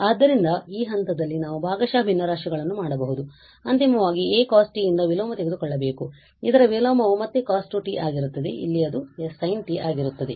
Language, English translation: Kannada, So, we can do partial fractions at this stage and then we have to take the inverse finally which is from it is a cos t the inverse of this will be again cos 2t and here it will be sin t